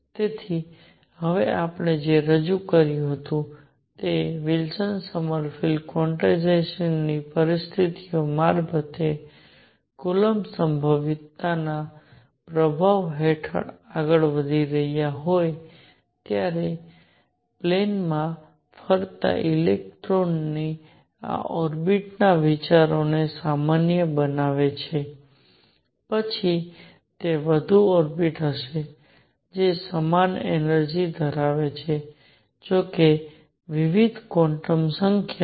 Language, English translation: Gujarati, So, what we have now introduce generalize the idea of these orbits of electrons moving in a plane when they are moving under the influence of a coulomb potential through Wilson Sommerfield quantization conditions now will a more orbits then one that have the same energy; however, different quantum numbers